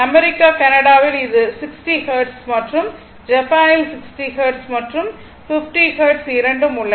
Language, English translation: Tamil, In USA, Canada, it is 60 Hertz and in Japan, I think it has 60 Hertz and 50 Hertz both are there right